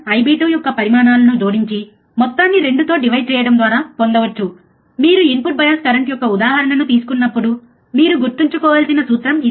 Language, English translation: Telugu, By adding the magnitudes of I B one I B 2 and dividing the sum by 2, this is the formula that you have to remember, when you take a example of an input bias current, right